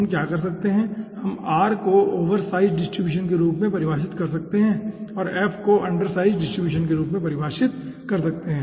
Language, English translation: Hindi, so what we can do, we can define r oversize distribution and f as undersize distribution